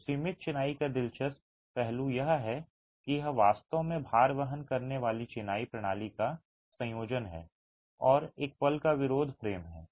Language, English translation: Hindi, So, the interesting aspect of confined masonry is that it is really a combination of a load bearing masonry system and a moment resisting frame